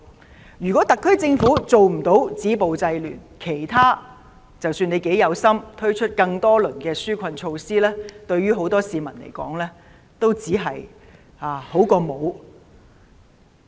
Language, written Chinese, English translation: Cantonese, 倘若特區政府無法止暴制亂，不論政府如何有心地推出多輪紓困措施，對很多市民來說，只是聊勝於無。, If the SAR Government can do nothing to stop violence and curb disorder no matter how committed the Government is in introducing rounds of relief measures these efforts would only be better than nothing to many members of the public